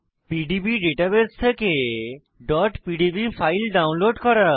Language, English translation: Bengali, * Download .pdb files from PDB database